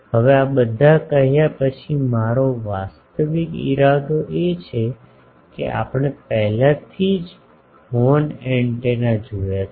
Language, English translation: Gujarati, Now, after saying all these my actual intention is that we have already seen the horn antenna